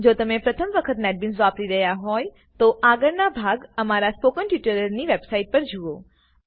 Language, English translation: Gujarati, If this is the first time you are using Netbeans, please view the earlier tutorials on the Spoken Tutorial website